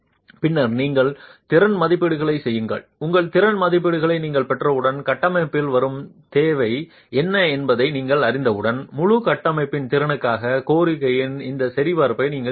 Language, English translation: Tamil, Once you've got your capacity estimates and you know what is the demand coming onto the structure, you need to do this verification of demand to capacity of the whole structure